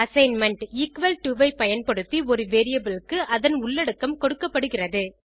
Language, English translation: Tamil, Using the assignment, equal to (=), a variable is given its content